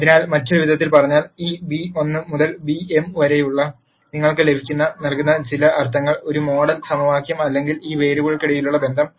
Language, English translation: Malayalam, So, in other words this beta 1 to beta m gives you in some sense a model equation or a relationship among these variables